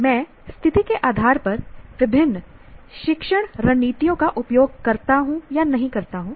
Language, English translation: Hindi, I use, do not use different learning strategies depending on the situation